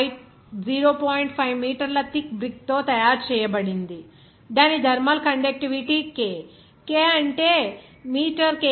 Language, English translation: Telugu, 5 meter thick brick with thermal conductivity that is K that will be is equal to 0